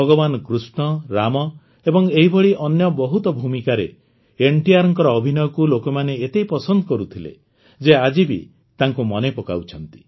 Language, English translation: Odia, People liked NTR's acting in the roles of Bhagwan Krishna, Ram and many others, so much that they still remember him